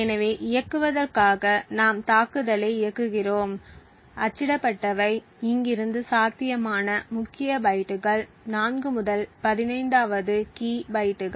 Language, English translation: Tamil, So, in order to run we just run the attack and what gets printed are the potential key bytes from here onwards that is 4th to the 15th key bytes